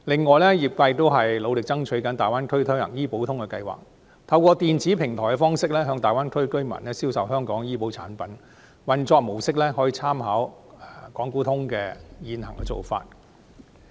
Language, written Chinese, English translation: Cantonese, 此外，業界亦正努力爭取在大灣區推行"醫保通"計劃，透過電子平台向大灣區居民銷售香港的醫保產品，運作模式可參考港股通的現行做法。, In addition the sector is also striving to implement a Health Insurance Connect scheme in the Greater Bay Area to sell Hong Kong insurance products to residents in the Greater Bay Area through electronic platforms . Its mode of operation can be modelled on that of the Stock Connect programme of Hong Kong